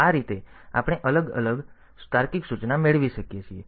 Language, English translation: Gujarati, So, this way we can have different and logical instruction